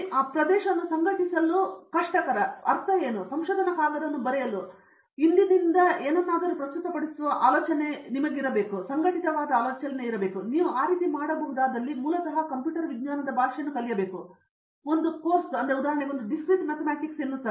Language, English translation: Kannada, What it means to organize that area, suppose I ask you to write a research paper or present something informally the idea should get organized and the way you can do is to basically learn the language of computer science and I strongly suggest that there is a course called Discrete Mathematics